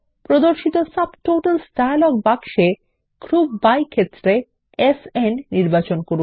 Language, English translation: Bengali, In the Subtotals dialog box that appears, from the Group by field, let us select SN